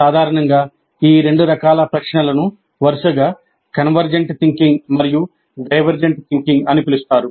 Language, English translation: Telugu, And generally these two types of questions are being called as convergent thinking and divergent thinking respectively